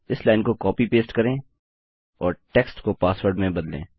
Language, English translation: Hindi, Copy paste this line and change text to password